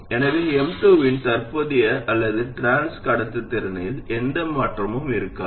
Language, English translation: Tamil, So there will be no change in the current or trans connectance of M2